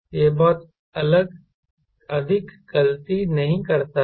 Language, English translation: Hindi, it doesnt make much of an error